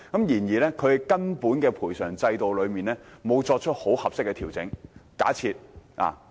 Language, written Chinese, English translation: Cantonese, 然而，本港的賠償制度並沒有作出合適的根本性調整。, However no fundamental adjustments have been duly made to the compensation system in Hong Kong